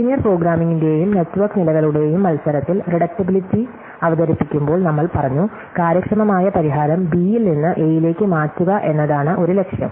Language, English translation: Malayalam, So, when we introduce reducibility in the contest of liner programming and network floors we said that one aim is to transfer efficient solution from B to A